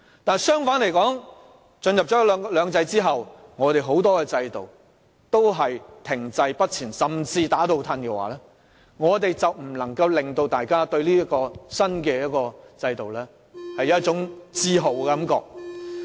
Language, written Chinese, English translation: Cantonese, 但若在進入"兩制"後，很多制度均停滯不前甚至"打倒褪"的話，便無法令大家對"一國兩制"產生自豪感了。, But if a lot of the systems are stagnant or even move backwards when two systems are in operation it will be impossible for one country two systems to give us a sense of pride